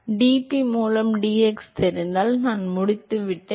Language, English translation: Tamil, If I know dp by dx, I am done